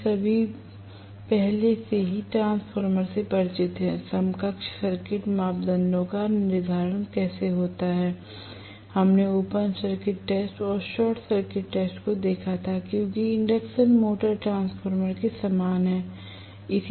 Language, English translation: Hindi, We all are already familiar with transformer, how to determine the equivalent circuit parameters, we had seen open circuit test and short circuit test, as induction motor is very similar to a transformer